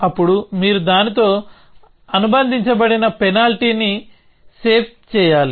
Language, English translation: Telugu, Then you would have to save a penalty associated with that